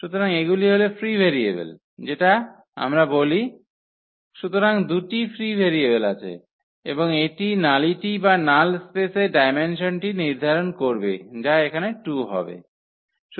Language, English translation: Bengali, So, these are the free variables which we call, so there are two free variables and that will define exactly the nullity or the dimension of the null space that will be 2 here